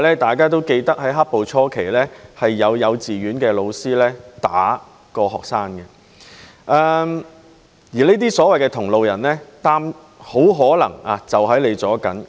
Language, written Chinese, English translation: Cantonese, 大家也記得在"黑暴"初期，有幼稚園教師打學生，而這些所謂的同路人，很可能在你身邊。, We still remember in the beginning of the black - clad violence a kindergarten teacher was found beating students . These so - called comrades may be around you